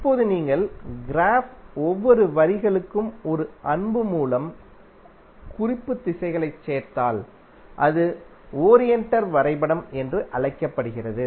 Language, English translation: Tamil, Now if you add the reference directions by an arrow for each of the lines of the graph then it is called as oriented graph